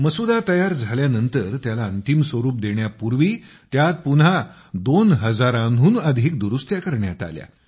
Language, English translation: Marathi, After readying the Draft, before the final structure shaped up, over 2000 Amendments were re incorporated in it